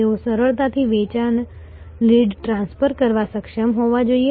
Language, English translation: Gujarati, They should be able to easily transfer a sales lead